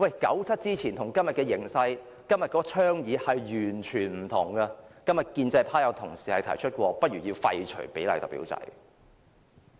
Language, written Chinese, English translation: Cantonese, 九七之前與今天的形勢相比，今天的倡議完全不同，今天建制派有同事曾提出過不如廢除比例代表制。, The circumstances before 1997 and the situation now are very different and people have started to advocated the opposite these days―some colleagues from the pro - establishment camp have proposed the abolition of the proportional representation system